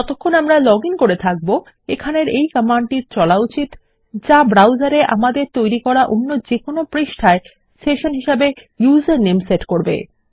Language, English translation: Bengali, As long as we are logged in, this should run this command here, setting our session in our browser to our username on any other page we create